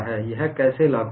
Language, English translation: Hindi, How does this appear